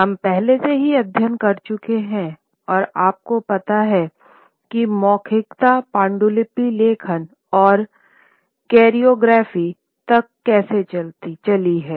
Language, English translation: Hindi, Today we are looking at, we have already studied how orality moves to manuscript writing and chirography